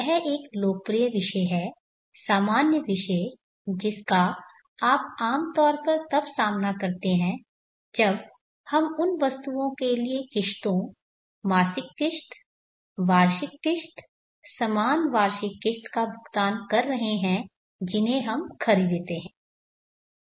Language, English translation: Hindi, This is a popular topic common topic which you would encounter commonly when we are paying installments for items that we purchase, monthly installments, annual installments, equal annual installments